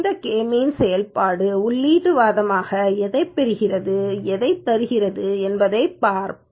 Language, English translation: Tamil, Let us look at what this K means function takes as input arguments and what does it return